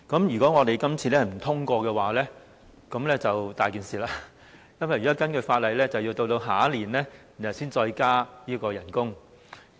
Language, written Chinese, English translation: Cantonese, 如果今次不獲通過，便"大件事"了，因為根據法例，要待明年才能再增加最低工資。, If it is not approved this time there will be big trouble because according to the law we have to wait until next year to increase the minimum wage rate again